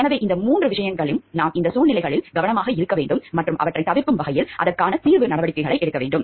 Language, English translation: Tamil, So, if these three thing we need to be careful about these situations and we need to take remedial measures about it so that they can be avoided